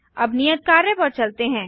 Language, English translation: Hindi, Now to the assignment